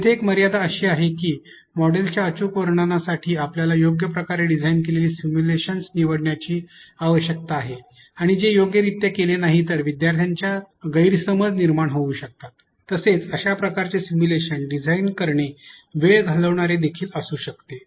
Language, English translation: Marathi, While one of the limitations here is that we need to choose well designed simulations for accurate depiction of models which if not done appropriately can lead to misconceptions amongst learners, also it can be time consuming to design such simulations